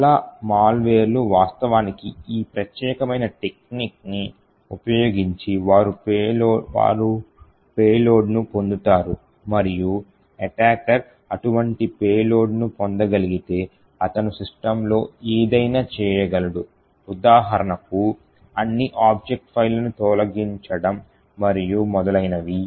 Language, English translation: Telugu, So many of the malware actually use this particular technique they obtain a payload and once an attacker is able to obtain such a payload, he can do anything in the system like example delete all the object files like this and so on